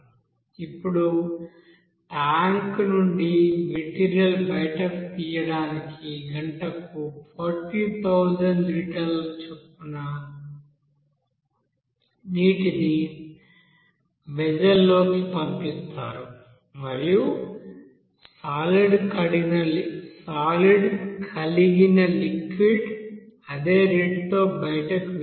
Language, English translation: Telugu, Now to flush this material out of the tank we will see water is pumped into the vessel at a rate of you know 40,000 liter per hour and liquid containing solids leave at same rate